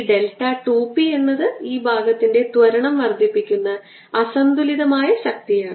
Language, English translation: Malayalam, this delta two p is the unbalance force that actually gives rise to the acceleration of this portion